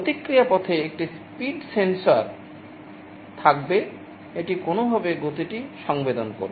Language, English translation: Bengali, There will be a speed sensor in the feedback path, it will be sensing the speed in some way